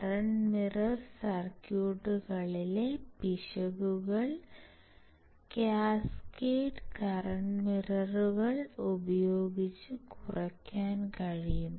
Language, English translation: Malayalam, The errors in the simplest current mirror circuits can be reduced by using, cascaded current mirrors